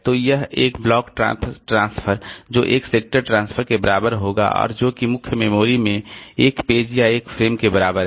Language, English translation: Hindi, So, they are made equal so that one block transfer that will be equal to one sector transfer and that is equal to one page or one frame in the main memory